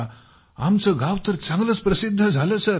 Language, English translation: Marathi, So the village became famous sir